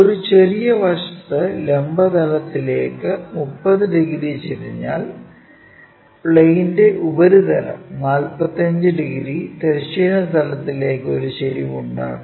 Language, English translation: Malayalam, On one small side which is 30 degrees, I am sorry this is 30 degrees inclined to vertical plane, while the surface of the plane makes 45 degrees, with an inclination to horizontal plane